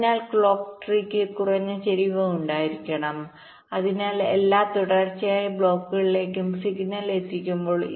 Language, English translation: Malayalam, so the clock tree should have low skew, so while delivering the signal to every sequential block